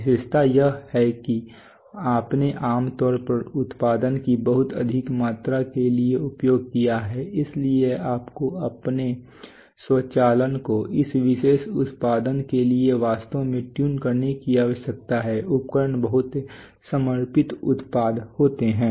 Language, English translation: Hindi, The features are that you have generally used for very high volume of production so you need to really tune your automation to that particular production, equipment is very dedicated products